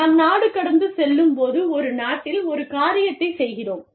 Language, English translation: Tamil, When we go transnational, we do one thing, in one country